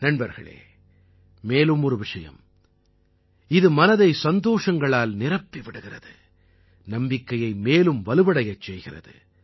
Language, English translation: Tamil, Friends, there's one more thing that fills the heart with joy and further strengthens the belief